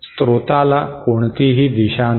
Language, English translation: Marathi, The source does not have any direction